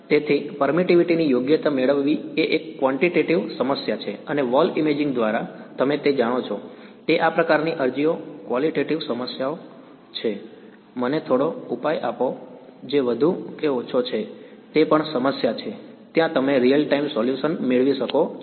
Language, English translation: Gujarati, So, getting the permittivity correct is what is a quantitative problem and what you know through the wall imaging these kinds of applications are qualitative problems; give me some solution which is more or less it is also problem there you can possibly get real time solution and so on